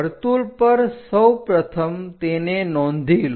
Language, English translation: Gujarati, On the circle first of all note it down